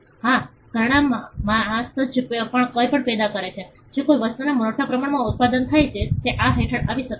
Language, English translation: Gujarati, Yes jewelry, mass produced anything that is mass produced in a particular thing can come under this